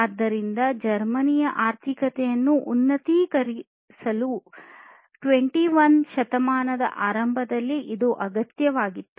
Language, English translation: Kannada, So, it was required in that early 21st century to uplift the German economy